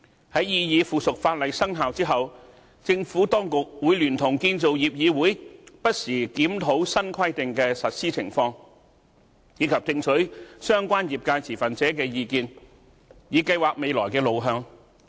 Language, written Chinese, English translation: Cantonese, 在擬議附屬法例生效後，政府當局會聯同建造業議會不時檢討新規定的實施情況，以及聽取相關業界持份者的意見，以計劃未來的路向。, After the commencement of the proposed items of subsidiary legislation the Administration in collaboration with CIC will from time to time review the implementation of the new requirements and obtain feedback from relevant industry stakeholders with a view to planning the way forward